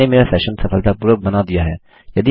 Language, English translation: Hindi, Ive successfully created my session